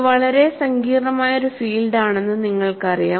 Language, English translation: Malayalam, You know, it is a very complex problem